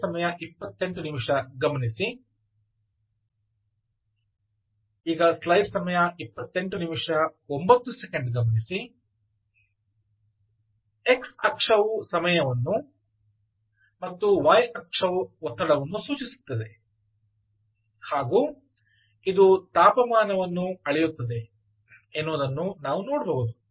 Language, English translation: Kannada, you can see that ah, x axis, this is ah, ah, time, and y axis is the pressure and which it is measuring, and it also measures the temperature